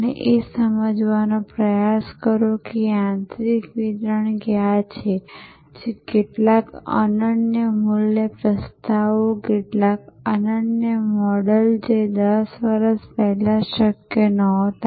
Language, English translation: Gujarati, And try to understand that, what is the delivery mechanism that is creating some unique value propositions, some unique models which would not have been possible 10 years back